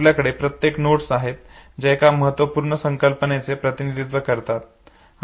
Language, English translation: Marathi, And each of the node that represent the basic concepts